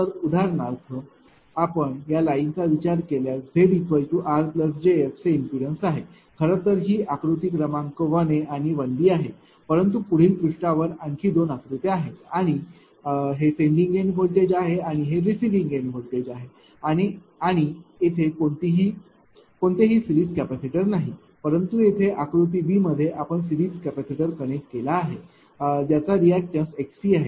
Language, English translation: Marathi, So, first for example, if you consider this line say simple line say it is impedance z is given r plus j; this is actually figure one a b, but two more figures are there in the next page and this is the sending end voltage and receiving the receive the receiving end voltage and there is ah your what you call; no series capacitor here, but in the figure b here you have connected a series capacitor having reactants x c